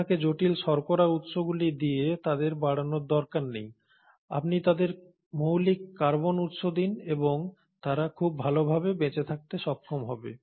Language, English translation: Bengali, You do not have to grow them with complex carbohydrate sources, you give them basic carbon source and they are able to survive very well